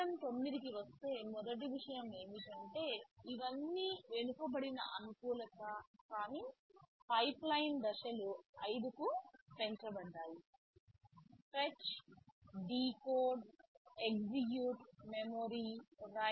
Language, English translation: Telugu, Coming to ARM 9 first thing is that these are all backward compatible, but the pipeline stages announced are increased to 5 stages; fetch, decode, execute, memory, right write